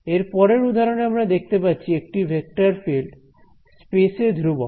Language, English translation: Bengali, The next thing the next example that I have is a vector field that is constant in space